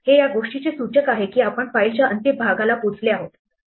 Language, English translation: Marathi, This is the indication that we have actually reached the end of the file